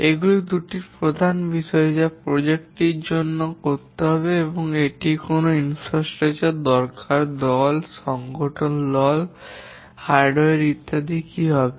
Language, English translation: Bengali, These are two main things that what the project needs to do and also what infrastructure it needs to use, what will be the team, team organization, hardware, and so on